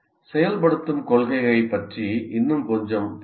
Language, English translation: Tamil, Let us look at it a little more about activation principle